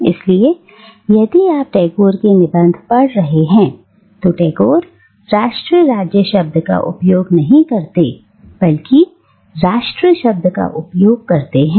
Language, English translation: Hindi, So if you are reading Tagore’s essays, Tagore doesn't use the word nation state but he uses the word nation